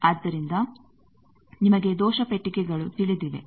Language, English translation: Kannada, So, you know error boxes